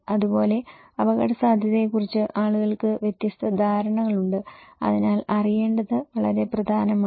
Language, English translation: Malayalam, Like, so people have different perceptions about risk, so that’s why it is very important to know